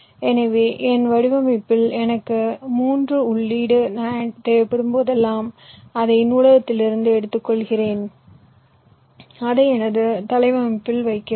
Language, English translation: Tamil, so in my design, whenever i need a three input nand, i simply pick it up from the library, i put it in my layout